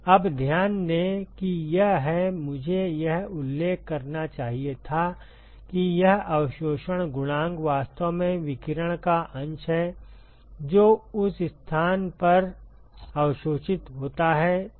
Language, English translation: Hindi, Now, note that this is the; I should have mentioned this absorption coefficient is actually the fraction of radiation, that is absorbed at that location right